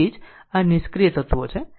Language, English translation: Gujarati, So, that is why they are passive elements right